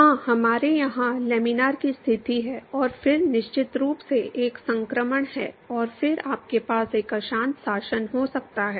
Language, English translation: Hindi, Yes we have laminar conditions here, and then of course, have a transition, and then you can have a turbulent regime